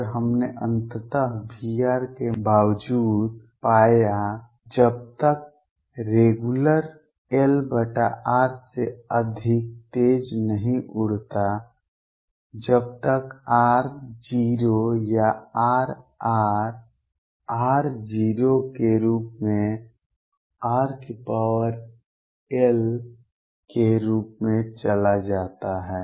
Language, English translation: Hindi, And, we finally found for irrespective of v r; as long as regular does not blow faster than 1 over r as r goes to 0 or R goes as r raised to l as r tends to 0